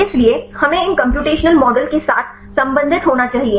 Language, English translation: Hindi, So, we need to relate with these computational models right